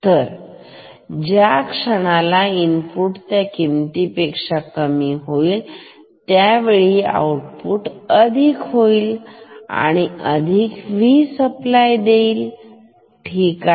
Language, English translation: Marathi, So, the moment input goes lower than this; output will become positive V supply ok